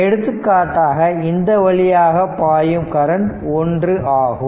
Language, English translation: Tamil, Suppose, this current is i 0 this current is i 0 right